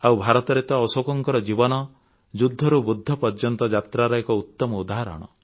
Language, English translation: Odia, And in India, Ashok's life perfectly epitomizes the transformation from war to enlightenment